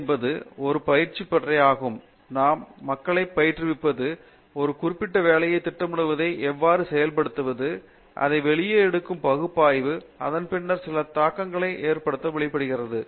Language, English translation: Tamil, So, PhD is a training ground where we train people, how to plan a certain work and execute it, analyze what comes out of it and then bring out some logical conclusions out of it